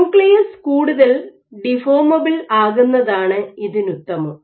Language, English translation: Malayalam, So, this is ideally if the nucleus was more deformable